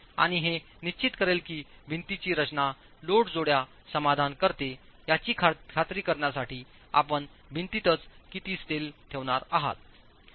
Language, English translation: Marathi, And that will determine how much steel you are going to put in in the wall itself to ensure the wall design satisfies the load combinations